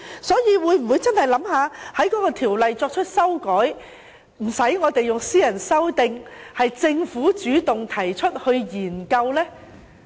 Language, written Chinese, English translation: Cantonese, 所以，政府會否考慮修訂《條例》，無須我們提出私人修訂，由政府主動提出研究呢？, Will the Government take the initiative to study the possibility of making amendments to the Ordinance instead of waiting for Members to move a private Members Bill?